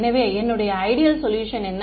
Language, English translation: Tamil, So, I my ideal solution is what